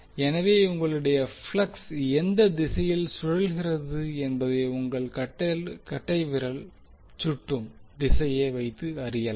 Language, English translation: Tamil, So this thumb direction will show you how and in what direction you are flux is rotating